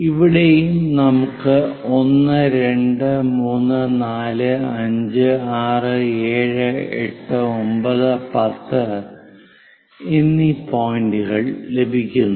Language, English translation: Malayalam, So, the numbers what we are going to make is 1, 2, 3, 4, 5, 6, 7, 8, 9 points